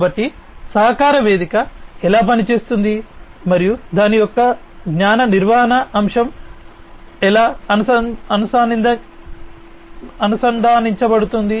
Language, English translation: Telugu, So, this is how a collaboration platform works, and how it is linked to the knowledge management aspect of it